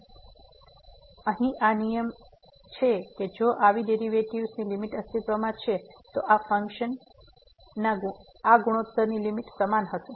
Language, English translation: Gujarati, So, this is the rule here that if such limits exists the limit of the derivatives, then we this will be equal to the limit of this ratio of the functions